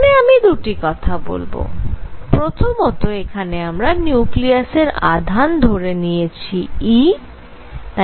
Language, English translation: Bengali, Now I just want to make 2 points; number 1; we took nucleus in this case to have charge e